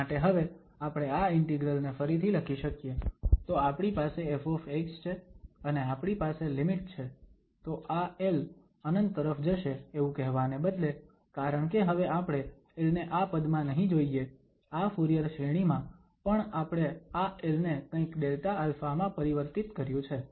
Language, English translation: Gujarati, So, now this integral we can rewrite, so we have the f x and we have the limit instead of saying this l goes to infinity, because l we will not see now in this tern here, in this Fourier series, but we have changed this l to kind of this Delta alpha